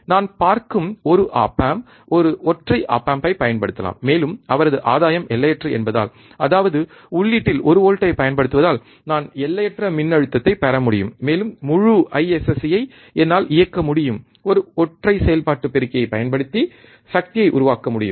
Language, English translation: Tamil, I can use one op amp, one single op amp I see, and since his gain is infinite; that means, applying one volt at the input, I can get infinite voltage, and whole IISC I can run the power can be generated using one single operational amplifier